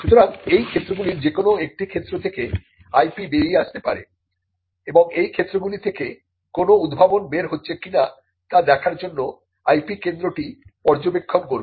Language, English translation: Bengali, So, IP could come out of any of these places and this is where the IP centre will be monitoring to see whether any invention is coming out of these avenue